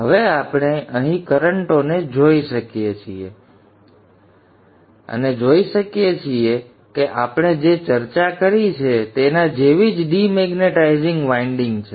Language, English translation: Gujarati, Now we can look at the currents here and see that the demaritizing winding is just like what we have discussed